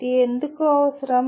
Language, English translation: Telugu, Why is this necessary